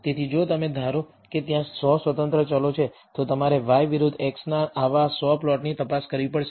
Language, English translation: Gujarati, So, if you assume there are 100 independent variables, you have to examine 100 such plots of y versus x